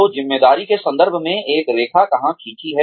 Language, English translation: Hindi, So, where does one draw the line, in terms of, responsibility